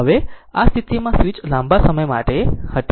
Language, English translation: Gujarati, Now at switch in this position was for long time right